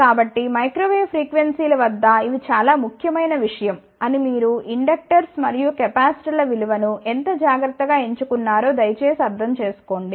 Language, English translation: Telugu, So, please understand these thing these are very very important thing at microwave frequencies, that how carefully you chose the values of inductors and capacitors ok